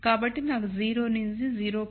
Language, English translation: Telugu, So, I have 0 to 0